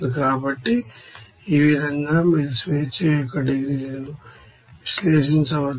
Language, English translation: Telugu, So, in this way you can analyze the degrees of freedom